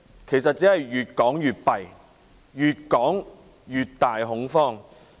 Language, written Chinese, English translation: Cantonese, 其實只會越說越差，繼續擴大恐慌。, In fact the situation will only worsen leading to the continual spread of panic